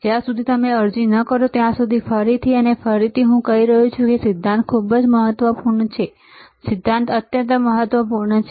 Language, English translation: Gujarati, Until you apply, it again I am saying this again and again theory is very important, theory is extremely important